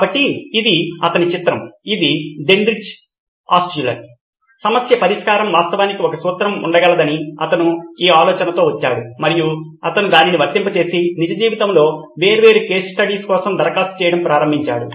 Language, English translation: Telugu, So this is his picture this is Genrich Altshuller, he came up with this idea that problem solving can actually be a formula and he applied it and started applying for different case studies in real life